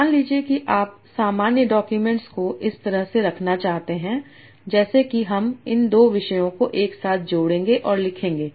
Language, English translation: Hindi, So suppose you want to generate a document like that, you will blend these two topics together and write that